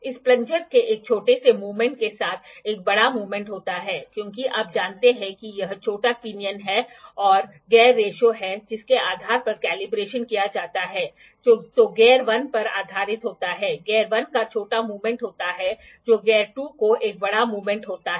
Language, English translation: Hindi, With a small movement of this plunger, there is a large movement because you know this is the small pinion and the gear ratio is there based on which the calibration is done, which is based on the gear 1 is the small movement of gear 1 is giving a big movement to the gear 2